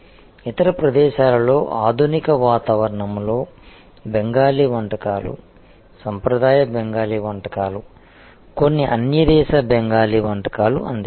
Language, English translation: Telugu, And other places with serve Bengali cuisine, traditional Bengali cuisine in some exotic Bengali cuisine in a modern ambiance